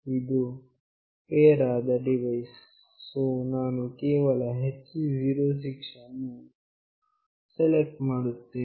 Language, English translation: Kannada, This one is the pair device, so I will just select HC 06